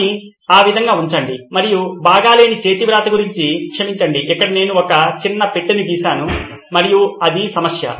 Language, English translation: Telugu, Let’s put it that way and sorry about the bad handwriting here I drew a small box and that was the problem